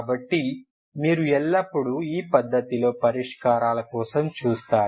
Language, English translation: Telugu, So this is how you should look for your solutions